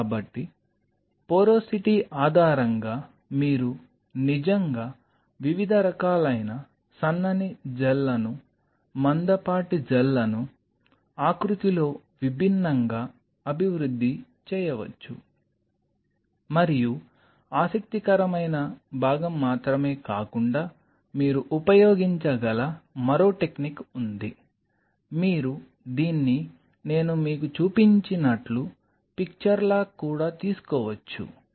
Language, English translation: Telugu, So, based on the porosity you really can develop different kind of gels thin gel, thick gels different of the structure and not only that the interesting part is there is one more technique what you can use you can even take this like I showed you this picture